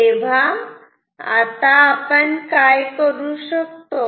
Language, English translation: Marathi, So, now, what we can do